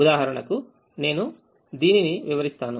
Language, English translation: Telugu, let me explain this for example